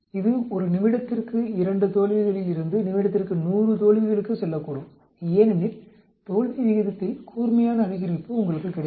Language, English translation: Tamil, It may go from 2 failures per minute to 100 failures per minute because you get a sharp increase in the failure rate